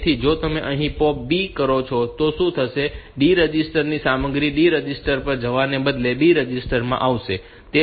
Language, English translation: Gujarati, So, if you do a POP B here, then what will happen content of D register will come to the B register, instead of going to the D register